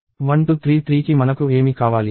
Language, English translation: Telugu, What do we need for 1233